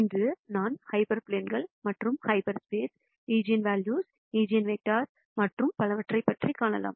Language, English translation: Tamil, Today I will talk about hyper planes, half spaces and eigenvalues, eigenvectors and so on